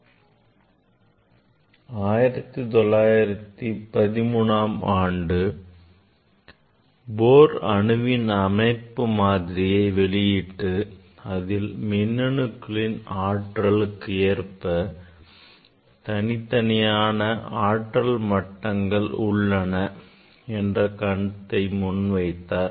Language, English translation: Tamil, actually in 1913, Bohr proposed the model of atomic structure where discrete energy levels for accommodation of electrons were postulated